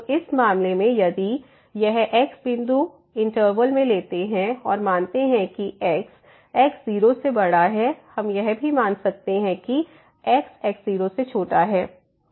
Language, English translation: Hindi, So, in this case if it take to point in the interval and suppose that is bigger than we can also assume that is less than